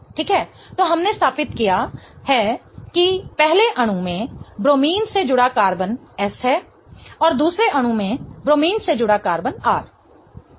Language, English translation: Hindi, Okay, so we have established that in the first molecule the carbon attached to the bromine is S and in the second molecule the carbon attached to bromine is R